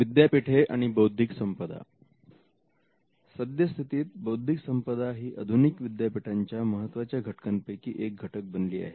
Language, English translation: Marathi, Universities and Intellectual Property: Today IP has become one of the important components of a modern universities